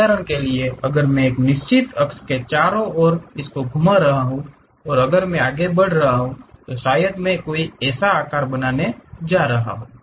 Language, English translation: Hindi, For example, if I am having a circle around certain axis if I am moving maybe I might be going to get a chew